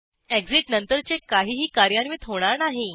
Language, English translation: Marathi, Anything after exit will not be executed